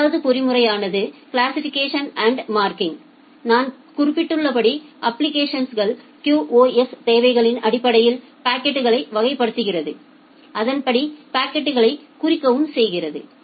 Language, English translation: Tamil, The second mechanism was classification and marking as I have mentioned that classifies the packet based on their application QoS requirements and then mark the packets accordingly